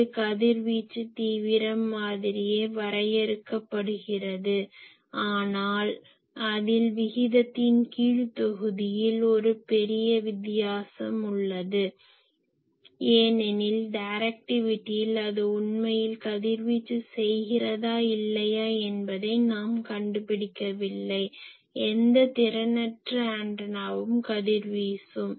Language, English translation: Tamil, So, it is defined as same that what is the radiation intensity but only thing is it is denominator is a big different because in directivity , you do not find out that whether that is really radiating or not , you see anything, any in efficient antenna also radiates